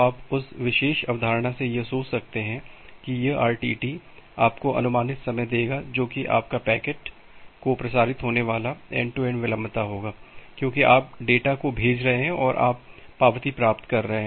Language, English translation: Hindi, Then with that particular concept you can think of that well this RTT will give you an approximate time that what will be your end to end delay of transmitting a packet because you are sending the data you are getting the acknowledgement